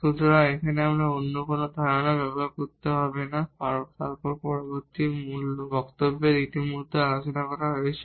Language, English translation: Bengali, So, here we do not have to use any other idea then the discussed in already in the previous lecture